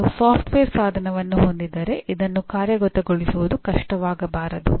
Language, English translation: Kannada, But this can be done if you have a software tool implementing this should not be difficult at all